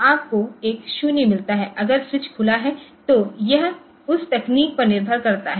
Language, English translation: Hindi, So, you get a 0 if the switch is open so it is it depends on that technology